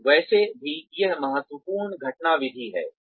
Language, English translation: Hindi, So anyway, that is the critical incident method